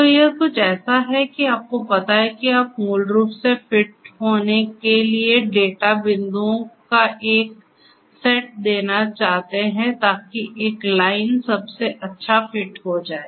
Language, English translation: Hindi, So, it is some kind of you know given a set of data data points you want to basically fit line so that you know that will become the best fit right